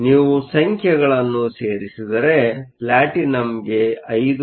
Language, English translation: Kannada, If you put in the numbers platinum we said was 5